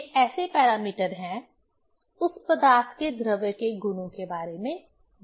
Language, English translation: Hindi, These are the parameters which tell about the properties of the material, of that matter